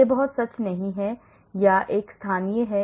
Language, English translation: Hindi, that is not very true, or it is a local